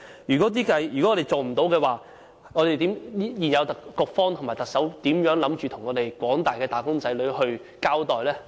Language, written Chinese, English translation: Cantonese, 如果不能做到，現屆政府的局方和特首打算如何向廣大的"打工仔女"交代？, If this cannot be done how would the Bureau of the current - term Government and the Chief Executive explain the whole thing to all wage earners?